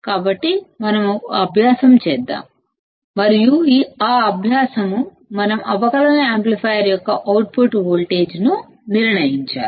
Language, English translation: Telugu, So, let us perform one exercise and that exercise is; we have to determine the output voltage of a differential amplifier